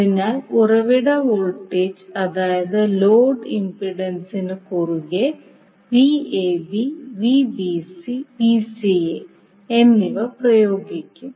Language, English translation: Malayalam, So the source voltage that is Vab and Vbc and Vca will be applying across the load impedances also